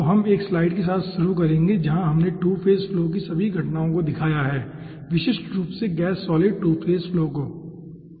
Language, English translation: Hindi, so we will start with a slide where we have shown all the occurrences of 2 phase flow okay, gas solid 2 phase flow in specific